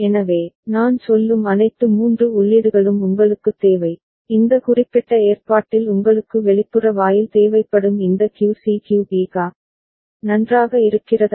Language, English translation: Tamil, So, you need all the 3 inputs I mean, this QC QB QA for which you will be needing an external gate in this particular arrangement, is it fine ok